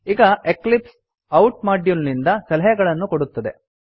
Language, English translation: Kannada, Now Eclipse will provide suggestions from the out module